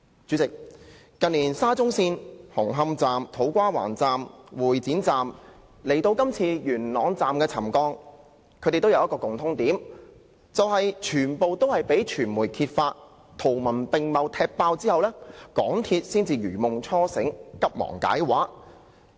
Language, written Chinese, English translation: Cantonese, 主席，近年沙中線紅磡站、土瓜灣站、會展站的事件，以至今次元朗站的沉降事件，均有一個共通點，就是全也是由傳媒圖文並茂地"踢爆"後，港鐵公司才如夢初醒，急忙解畫。, President there is something in common in the series of incidents concerning the Hung Hom Station To Kwa Wan Station and Exhibition Centre Station of the Shatin to Central Link in recent years as well as the subsidence incident of the Yuen Long Station . The need to account for the incidents only came to MTRCL after the incidents have been revealed by the media with details and photographs